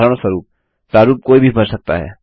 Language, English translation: Hindi, For example a form someone can fill in